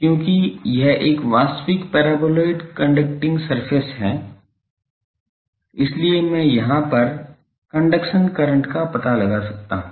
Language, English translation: Hindi, Because, this is a real paraboloid conducting surface is there so, I can find the conduction current here